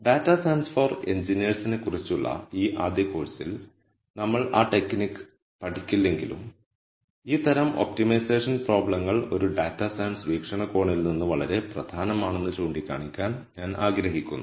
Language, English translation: Malayalam, Though we will not study that technique in this first course on data science for engineers, I just wanted to point out that this class of optimization problems is very important from a data science viewpoint